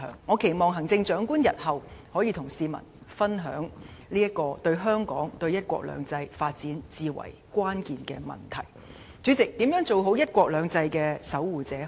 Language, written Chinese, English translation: Cantonese, 我期望行政長官日後就這個對香港及對"一國兩制"發展至為關鍵的問題，能與市民分享她的想法。, I hope the Chief Executive will share her thoughts with the public on this crucial issue which has important implication for Hong Kong and the development of one country two systems in the future